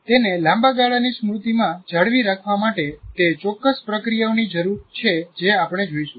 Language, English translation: Gujarati, Even to retain it in the long term memory require certain processes and that's what we will look at it